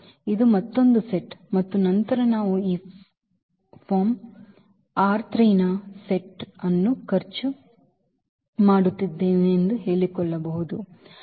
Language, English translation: Kannada, This is another set and then again we are claiming that this form is spending set of this R 3